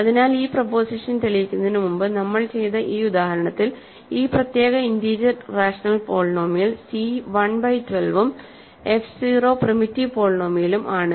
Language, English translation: Malayalam, So, in this example that we did before we proving this preposition, this particular integer rational polynomial is contained c 1 by 12 and f 0 is the primitive polynomial